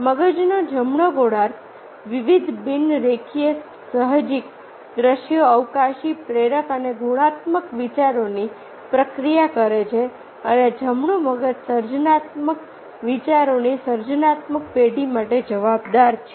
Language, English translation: Gujarati, the right hemisphere brain process divergent, nonlinear, intuitive, visual, spatial, inductive and qualitative thoughts, and the right brain is responsible for creative generation of the creative ideas